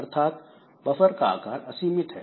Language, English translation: Hindi, One possibility is that buffer is unbounded in size